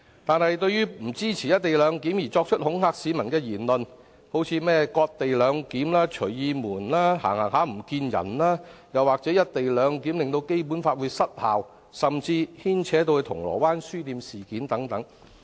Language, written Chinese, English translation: Cantonese, 但是，不支持"一地兩檢"的人士作出了種種恐嚇市民的言論，提出例如"割地兩檢"、"隨意門"、"忽然失蹤"等說法，又或指"一地兩檢"令《基本法》失效，甚至牽扯到銅鑼灣書店事件等。, However co - location naysayers have spread to the people all kinds of intimidating comments uttering such expressions as cession - based co - location arrangement Doraemon Anywhere Door and sudden disappearance . Among the threats raised they said the co - location arrangement would render the Basic Law invalid and related the arrangement to the Causeway Bay Books incident in a far - fetched way